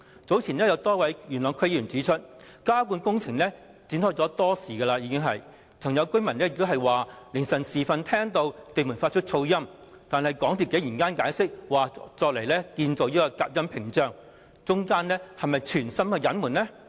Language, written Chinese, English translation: Cantonese, 早前有多位元朗區議會議員指出，加固工程已展開多時，有附近居民曾在凌晨時分聽到地盤發出噪音，但港鐵公司竟然解釋有關工程是為了建造隔音屏障，這是否存心隱瞞？, As some YLDC members have pointed out earlier the underpinning works should have kicked off much earlier than the said implementation date because residents nearby said there was noise generated in the construction site in the small hours beforehand . MTRCL however simply explained that the noise was produced by the construction of noise barriers . Is the explanation a deliberate cover - up?